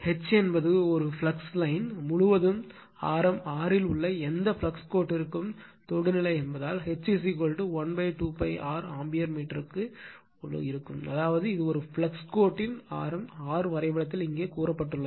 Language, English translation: Tamil, Since, H is tangential all along a flux line, for any flux line in radius r right, so H is equal to I upon 2 pi r ampere per meter that means, this is the radius of a flux line of r say here in the diagram